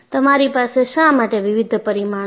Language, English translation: Gujarati, That is a reason, why you have different parameters